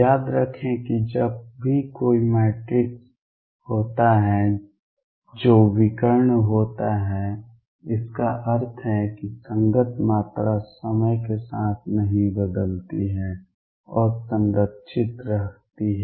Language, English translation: Hindi, Recall that whenever there is a matrix which is diagonal; that means, the corresponding quantity does not change with time and is conserved